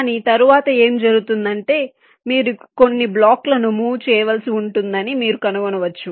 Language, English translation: Telugu, but what might happen later on is that you may find that you may have to move some blocks around